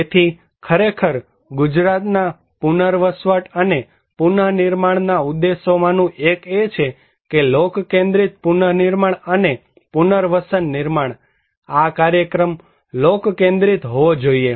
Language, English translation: Gujarati, So, actually the one of the objectives of Gujarat rehabilitation and reconstruction is to build People Centric Reconstruction and Rehabilitations, the program should be people centric